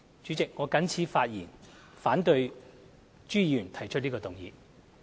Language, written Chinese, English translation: Cantonese, 主席，我謹此陳辭，反對朱議員提出的議案。, With these remarks President I oppose to the motion moved by Mr CHU